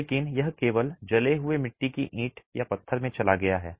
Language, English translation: Hindi, But it simply moved into the burnt clay brick or stone